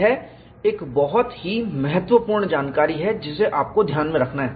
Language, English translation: Hindi, This is a very key, important information, that you have to keep in mind